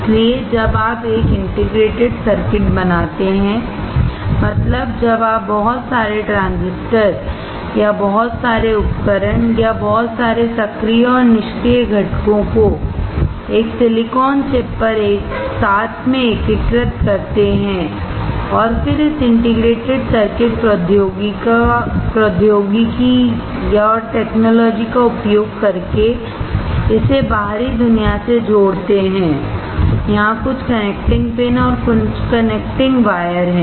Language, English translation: Hindi, when you fabricate a lot of transistors or a lot of devices or a lot of active and passive components integrated together on a small silicon chip similar to this and then connect it to external world using this integrated circuit technology, there are some connecting pins, and some connecting wires